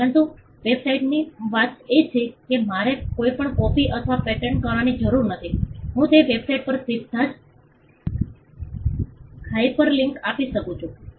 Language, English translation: Gujarati, But the point with the website is I need not copy or paste anything; I can give a hyperlink directly to that website